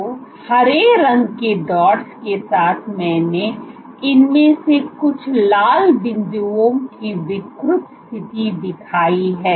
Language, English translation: Hindi, So, with the green dots I have shown the position deformed position of some of these red dots